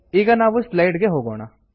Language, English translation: Kannada, Let me go back to the slides now